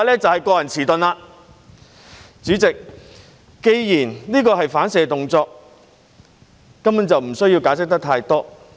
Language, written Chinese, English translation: Cantonese, 主席，既然這是反射動作，就根本不需要解釋太多。, President since this is a reflex action there is no need at all to explain too much about it